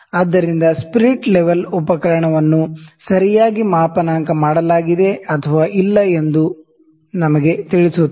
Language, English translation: Kannada, So, this will tell us that is the spirit, this instrument properly calibrated or not